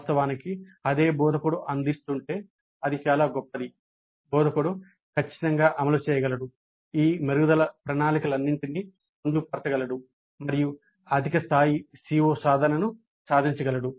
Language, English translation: Telugu, Of course if the same instructor is offering it is all the more great the instructor can definitely implement incorporate all these improvement plans and achieve higher levels of CO attainment